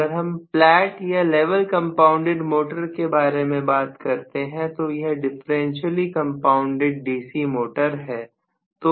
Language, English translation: Hindi, If I am talking about the flat or level compounded motor, it is a differentially compounded DC motor, right